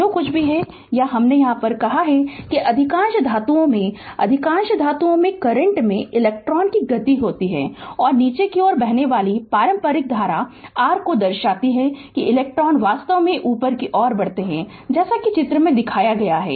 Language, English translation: Hindi, Whatever, whatever I said that in most of the metals right in most of the metal right, the current consist of electrons moving and conventional current flowing downwards your right represents that electrons actually moving upward right as shown in the diagram